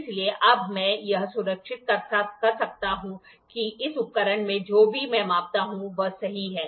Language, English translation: Hindi, So, that now I can make sure whatever I measure in this instrument is perfect